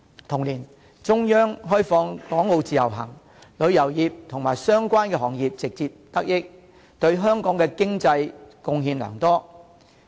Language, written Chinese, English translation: Cantonese, 同年，中央開放港澳自由行，旅遊業及相關行業直接得益，對香港的經濟貢獻良多。, In the same year the Central Government launched the Individual Visit Scheme in Hong Kong and Macao